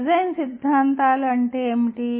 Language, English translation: Telugu, That is the nature of design theories